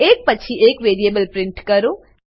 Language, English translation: Gujarati, Print those 2 variables one after the other